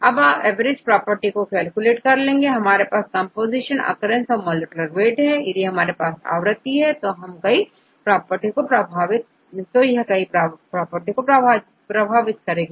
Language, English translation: Hindi, Now, you can calculate the average properties, right just we get the composition and occurrence and the molecular weight, if we have the occurrence it has influenced various properties